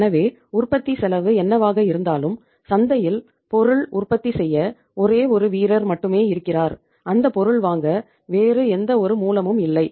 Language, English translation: Tamil, So whatever is going to be the cost of the production if there is only single player in the market manufacturing the product in the market you have no option to buy the product from any source